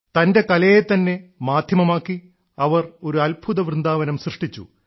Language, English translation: Malayalam, Making her art a medium, she set up a marvelous Vrindavan